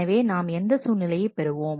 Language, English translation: Tamil, So, what we situation are we getting into